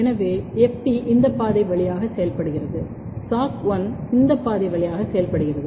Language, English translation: Tamil, So, FT is working through this pathway, SOC1 is working through this pathway